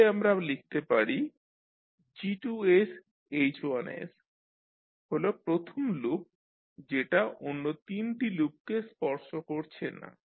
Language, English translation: Bengali, That the G2s into H1s that is the first loop is not touching other 3 loops